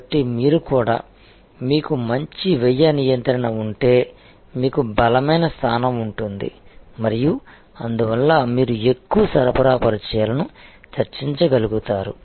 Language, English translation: Telugu, So, also you are, if you have a better cost control then you have a stronger position and therefore, you are able to negotiate longer supply contacts